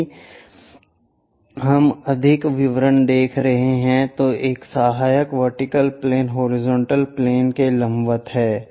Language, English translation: Hindi, If we are looking at more details this auxiliary vertical plane perpendicular to horizontal plane